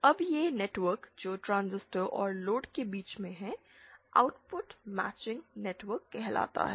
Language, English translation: Hindi, Now this network that is that between the transistor and the load is called the output matching network